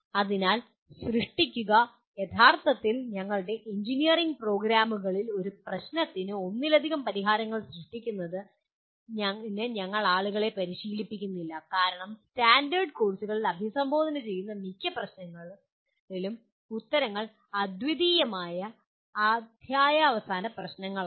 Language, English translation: Malayalam, So create, actually in our engineering programs we do not train people for creating multiple solutions to a problem because most of the problems that are addressed in the standard courses are end of the chapter problems where the answers are unique